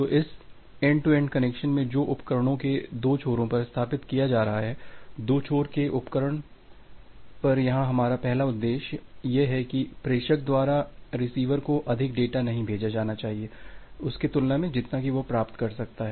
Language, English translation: Hindi, So, in this end to end connection which is being established on the two end of the devices, the two end devices, here our objective is the first objective is that the sender should not send more data compare to what the receiver can receive